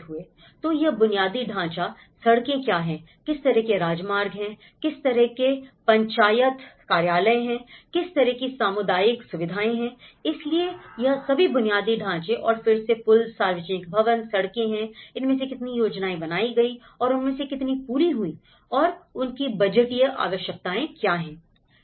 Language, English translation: Hindi, So, this is the infrastructure, what are the roads, what kind of highways, what kind of Panchayat offices, what kind of community facilities, so this is all the infrastructures and again the bridges, public buildings, roads, how many of them are planned, how many of them are completed, what are the budgetary requirements